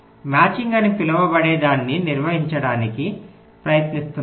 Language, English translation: Telugu, so we are trying to define something called a matching, matching